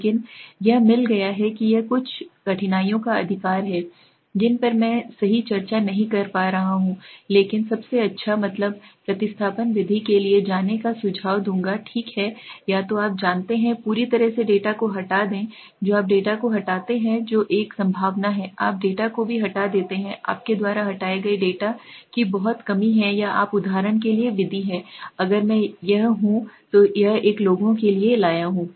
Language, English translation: Hindi, But it has got it s a own difficulties right some of the difficulties which I am not discussing right now but the best is I will suggest to go for the mean substitution method okay so either you know completely replace the data you remove the data that is a possibility, you remove the data if too much of missing data there you remove or you there is method for example, if I this is I brought for a people